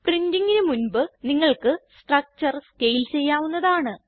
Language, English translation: Malayalam, You can also scale your structure as required before printing